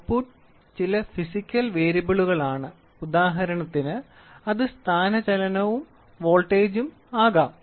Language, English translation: Malayalam, The output is some physical variable example it can be displacement and voltage